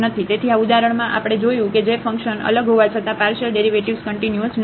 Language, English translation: Gujarati, So, in this example we have seen that the partial derivatives are not continuous though the function is differentiable